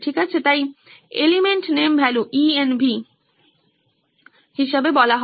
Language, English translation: Bengali, Okay, so are called the element name value ENV model as well